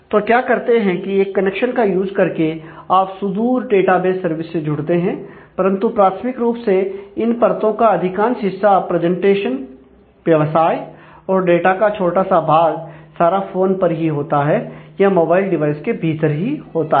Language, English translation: Hindi, So, what you do is you use the connection to connect to the remote database provided by the service, but primarily most of this layer of this presentation, business and a small part of the data layer are all realized within the phone itself, or within the mobile device itself